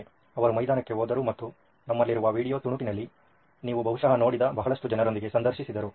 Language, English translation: Kannada, They went on field and actually interviewed a lot lot number of people compared to the ones that you probably saw on the snippet that we had